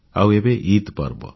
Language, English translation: Odia, And now the festival of Eid is here